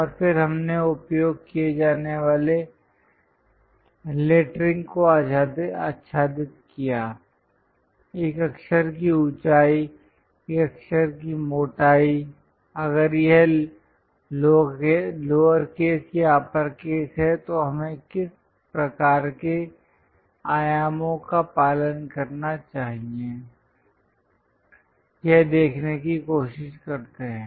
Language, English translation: Hindi, And then we covered what are the lettering to be used, what should be the height of a letter, thickness of a letter if it is a lowercase, if it is a uppercase what kind of dimensions one should follow we try to look at